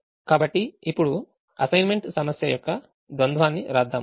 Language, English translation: Telugu, so now let us write the dual of the assignment problem